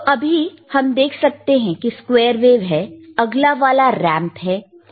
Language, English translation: Hindi, But right now, we can see the wave is squared ok, next one which iis the ramp